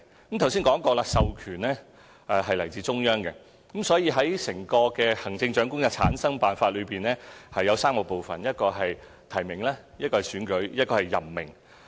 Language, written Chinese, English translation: Cantonese, 我剛才說過，授權是來自中央，所以整個行政長官的產生辦法分3部分：提名、選舉及任命。, As I have said our power is delegated by the Central Government and the method for selecting the Chief Executive comprises three parts namely nomination election and appointment